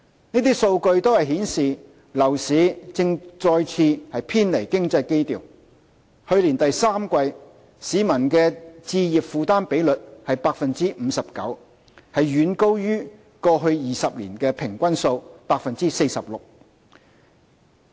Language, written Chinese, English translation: Cantonese, 這些數據均顯示樓市正再次偏離經濟基調；去年第三季，市民的置業負擔比率為 59%， 遠高於過去20年的平均數 46%。, As shown by such data the property market is moving away from economic fundamentals again . In the third quarter last year the home purchase affordability ratio of the public was 59 % significantly higher than the average of 46 % over the past 20 - year period